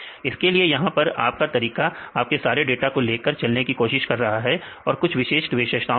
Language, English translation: Hindi, So, here your method is try to accommodate all the your data with some specific features